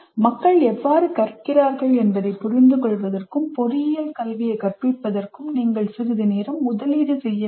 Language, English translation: Tamil, And you have to keep investing some time in yourself, in understanding how people learn and pedagogy of engineering education